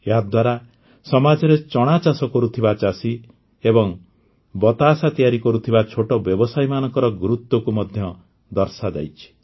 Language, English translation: Odia, Through this, the importance of farmers who grow gram and small entrepreneurs making batashas has been established in the society